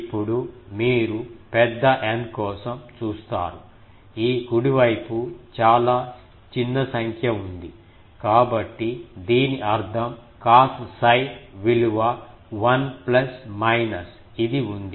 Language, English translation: Telugu, Now, you see for large N, this right hand side is quietly small number, so that means, cos cos psi that value is 1 plus minus something